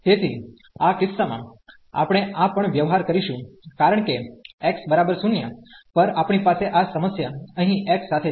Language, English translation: Gujarati, So, in this case we will also deal this because at x is equal to 0, we have this problem here with x